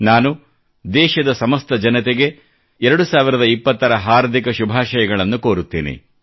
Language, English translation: Kannada, I extend my heartiest greetings to all countrymen on the arrival of year 2020